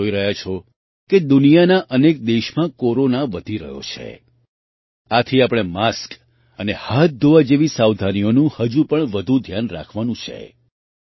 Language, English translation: Gujarati, You are also seeing that, Corona is increasing in many countries of the world, so we have to take more care of precautions like mask and hand washing